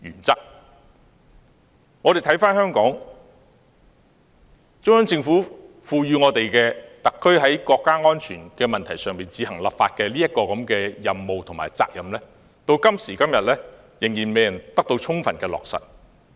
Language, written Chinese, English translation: Cantonese, 中央政府賦予香港特區在國家安全問題上自行立法的任務和責任，到今時今日仍未得到充分落實。, The Central Government has entrusted the Hong Kong SAR with the mission and duty to enact its own laws on national security and this mission and duty have not yet been fulfilled